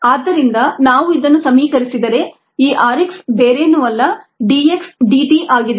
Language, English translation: Kannada, so if we equate this and this, r x is nothing but d x d t